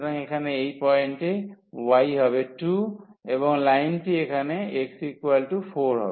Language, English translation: Bengali, So, this point here y is 1 and that line here y is 4